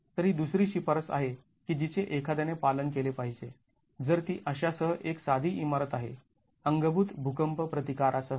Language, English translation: Marathi, So, this is the other recommendation that is that one has to adhere to if it is a simple building with such, with earthquake resistance built in